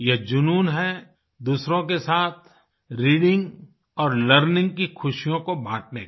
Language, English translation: Hindi, This is the passion of sharing the joys of reading and writing with others